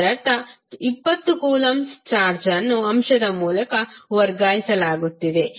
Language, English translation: Kannada, It means that 20 coulomb of charge is being transferred from through the element